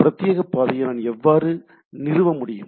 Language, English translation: Tamil, So, how I how a dedicated path can be established